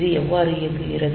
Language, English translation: Tamil, So, how does it operate